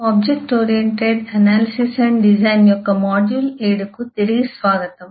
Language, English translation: Telugu, welcome back to module 7 of object oriented analysis and design